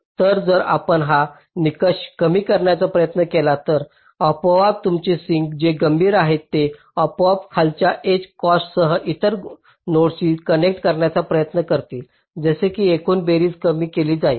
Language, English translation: Marathi, so if you try to minimize this criteria, so automatically your ah the sinks which are critical, they will automatically be try to connect to some other node with a lower edge cost such that this overall sum is minimized